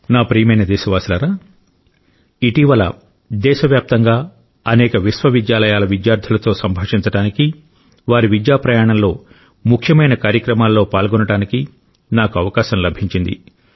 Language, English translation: Telugu, in the past few days I had the opportunity to interact with students of several universities across the country and be a part of important events in their journey of education